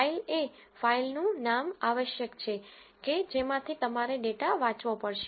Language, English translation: Gujarati, File is essentially the name of the file from which you have to read the data